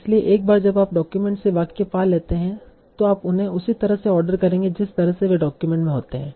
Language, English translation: Hindi, So once you have found a sentences from the document, you will order them in the same way in which they occur in the document